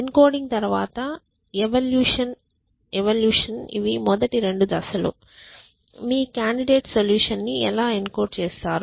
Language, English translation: Telugu, So, encoding followed by evaluation these are the first 2 steps; how do you encode your candidate solution